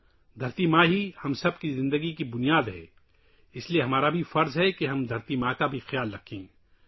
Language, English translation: Urdu, Mother Earth is the very basis of the lives of all of us… so it is our duty to take care of Mother Earth as well